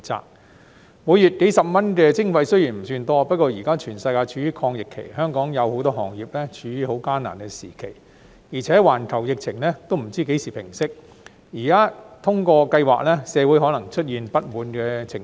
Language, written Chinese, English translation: Cantonese, 雖然每月數十元的徵費不算多，不過現在全世界處於抗疫期，香港有很多行業處於艱難的時期，而且環球疫情仍未知何時平息，現在通過計劃，社會可能會出現不滿情緒。, A monthly charge of a few dozen dollars is not a significant amount . However since the whole world is now fighting the pandemic many sectors in Hong Kong are facing a difficult time and it is not known when the global pandemic will subside the passage of the scheme may arouse discontent in society